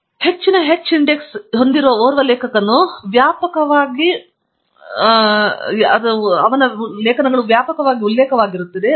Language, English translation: Kannada, So, which also means that an author, who has higher h index, is an author whose papers are being read widely and are being referred widely